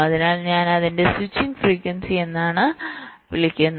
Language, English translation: Malayalam, so i am calling it as the frequency of switch